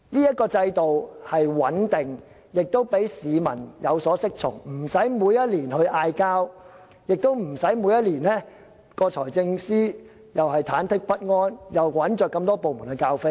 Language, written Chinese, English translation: Cantonese, 這個制度是穩定的，亦讓市民有所適從，無須每年爭拗，而財政司司長亦無須每年也忐忑不安，要多個部門做很多額外工作。, As this system is stable and bound by guidelines people do not have to argue over the budget each year and it can also save the Financial Secretary the trouble of being fidgety and asking various departments to do so much extra work each year